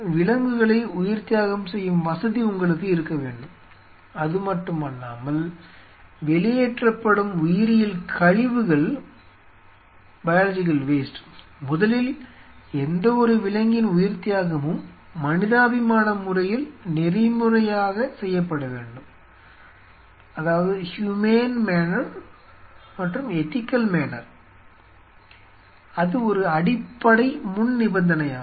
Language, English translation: Tamil, If you have animal sacrificing facility right not only that the biological waste which are coming out, first of all any animal killing has to be done in a humane manner, in an ethical manner, it is one underlying prerequisite